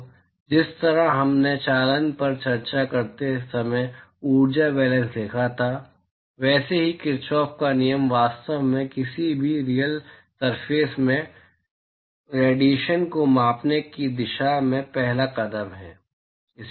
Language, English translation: Hindi, So, just like how we wrote energy balance when we discussed conduction, so, Kirchhoff’s law is actually the first step towards quantifying radiation in any real surface